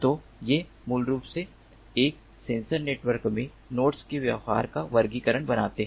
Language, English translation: Hindi, so these basically forms the taxonomy of behavior of nodes in a sensor network